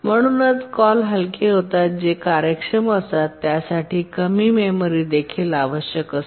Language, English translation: Marathi, Therefore, the calls become lightweight that is efficient and require also less memory